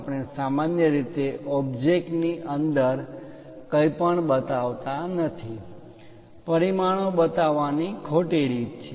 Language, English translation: Gujarati, We usually do not show anything inside of the object that is a wrong way of showing the dimensions